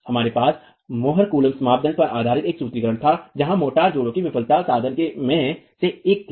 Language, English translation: Hindi, We had a formulation based on the morculum criterion where the failure of the motor joint was one of the failure modes